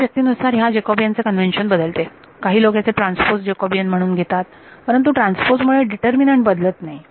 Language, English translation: Marathi, The convention for this Jacobian differs from people to people some people take the transpose of this as the Jacobian whatever, but transpose does not alter determinant